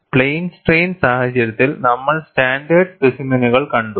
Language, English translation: Malayalam, In the case of plane strain, we had seen standard specimens